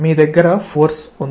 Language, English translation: Telugu, You have a force F